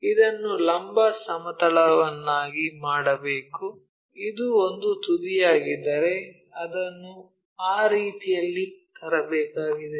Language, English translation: Kannada, So, we have to make if this is the vertical plane, if this one is apex it has to be brought in that way